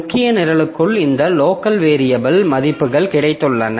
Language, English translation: Tamil, And within the main program, so we have got this local variables, values and I